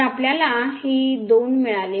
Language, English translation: Marathi, So, we got these 2